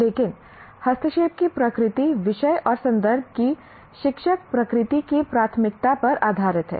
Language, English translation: Hindi, But the nature of intervention is based on the preference of the teacher, nature of the subject and the context